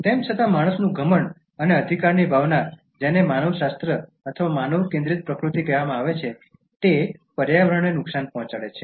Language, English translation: Gujarati, However, man’s arrogance and sense of entitlement, which is called as “anthropocentric” or man centred nature, has being harming the environment